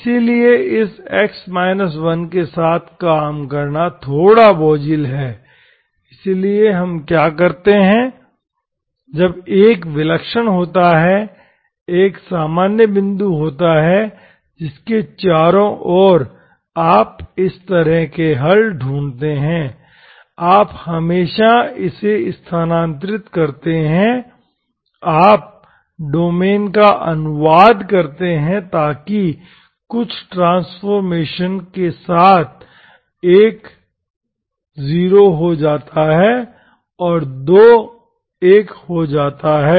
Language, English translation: Hindi, But this, working with x 1 is little cumbersome, so let us, what we do is, we always, when 1 is singular, 1 is the ordinary point around which you look for the solutions like this, you always shift it, you translate domain so that with some transformation, so that 1 becomes 0